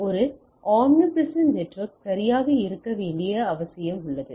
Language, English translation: Tamil, So, there is a need for a omnipresent network to be there right